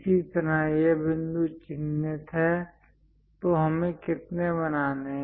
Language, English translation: Hindi, Similarly, this point mark, so how many we have to make